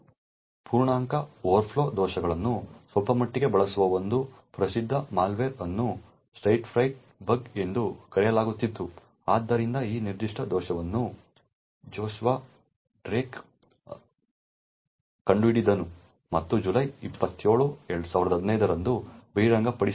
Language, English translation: Kannada, One quite famous malware which actually uses integer overflow vulnerabilities quite a bit was known as the Stagefright bug, so this particular bug was discovered by Joshua Drake and was disclosed on July 27th, 2015